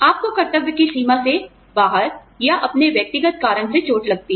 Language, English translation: Hindi, You get hurt, in the line out of duty, or on your personal account